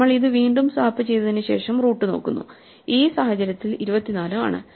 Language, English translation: Malayalam, So, we swap it again then we look at the root, in this case 24 and we find that 33 is bigger than 24